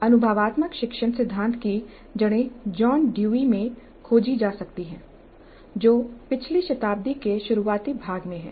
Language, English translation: Hindi, The roots of experiential learning theory can be traced to John Dewey all the way back to the early part of the last century